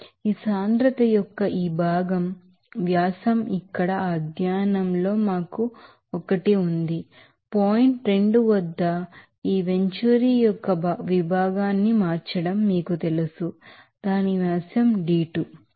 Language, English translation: Telugu, The diameter of this part of this density is here at this study one for us at this you know converting section of this venturing at point 2 its diameter is d2